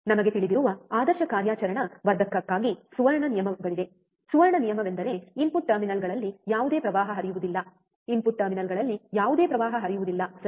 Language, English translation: Kannada, For ideal operational amplifier we know, right there are golden rules the golden rule is that no current flows into the input terminals, no current flows into the input terminals, right